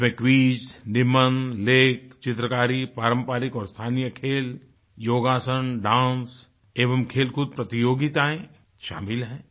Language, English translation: Hindi, This includes quiz, essays, articles, paintings, traditional and local sports, yogasana, dance,sports and games competitions